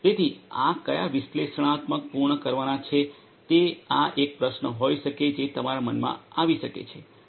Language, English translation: Gujarati, So, which analytics are going to be done this might be a question that might come to your mind